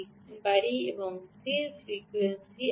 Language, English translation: Bengali, i will read, write this: this is fixed frequency